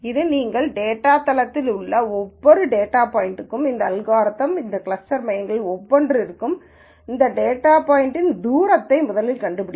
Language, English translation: Tamil, It finds for every data point in our database, this algorithm first finds out the distance of that data point from each one of this cluster centres